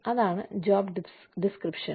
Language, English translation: Malayalam, That is what, a job description is